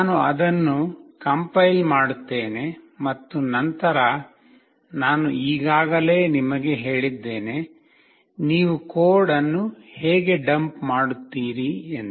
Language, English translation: Kannada, I will just compile it and then I have already told you, how you will dump the code